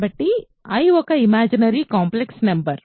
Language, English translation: Telugu, So, i is an imaginary complex number